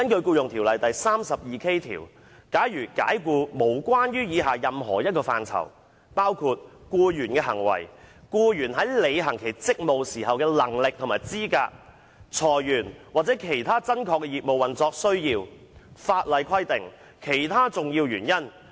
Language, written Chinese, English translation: Cantonese, 《僱傭條例》第 32K 條訂明解僱的正當理由，包括：僱員的行為、僱員在履行其職務時的能力或資格、裁員或其他真確的業務運作需要，法例規定及其他重要原因。, Section 32K of the Employment Ordinance stipulates that valid reasons for dismissal include the conduct of the employee; the capability or qualifications of the employee for performing hisher duties; redundancy or other genuine operational requirements of the business of the employer; stipulation of the law or any other reason of substance